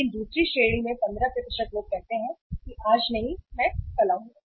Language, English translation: Hindi, But in the second category that is 15% of the people say not today I will come tomorrow